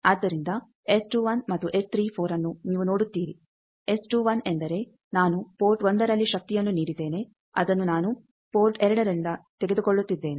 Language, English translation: Kannada, So, S 21 and S 34 you see that S 21 means I have given power at port 1 I am taking it at port 2